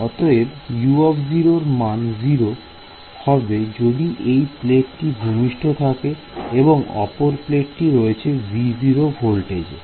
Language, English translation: Bengali, So, U of 0 is going to be 0 its a grounded plate and the upper plate is maintained at some voltage V naught